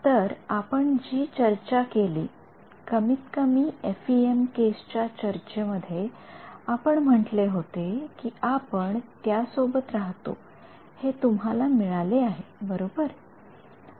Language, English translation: Marathi, So, so far what we had done at least in the case of the FEM discussion, we have said we live with it, this is what you have get right